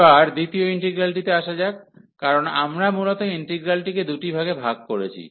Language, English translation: Bengali, Now, coming to the second integral, because we have break the original integral into two parts